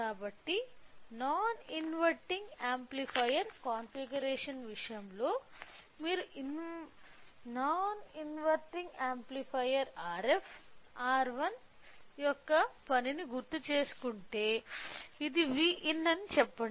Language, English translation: Telugu, So, whereas, in case of a non inverting amplifier configuration if you recall the working of non inverting amplifier so, R f, R 1, say this is V in